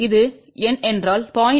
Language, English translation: Tamil, If this is the number 0